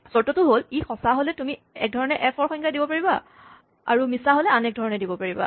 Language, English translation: Assamese, You have a condition; if it is true, you define f one way; otherwise, you define f another way